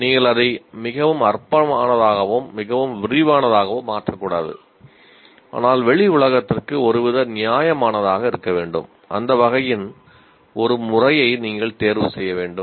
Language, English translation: Tamil, You should not make it too trivial, not too elaborate, but some kind of a justifiable to outside world, you have to choose a mechanism of that type